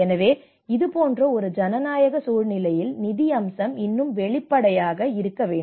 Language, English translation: Tamil, So that is where in a democratic situations like this financial aspect has to be more transparent